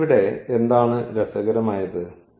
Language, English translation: Malayalam, So, here and what is interesting